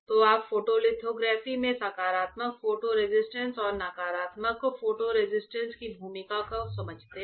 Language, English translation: Hindi, So, you understand the role of the positive photo resist and negative photo resist in lithography